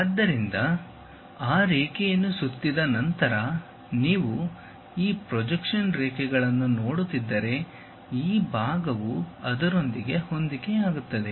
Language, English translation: Kannada, So, if you are seeing this projection lines after revolving whatever that line, this part coincides with that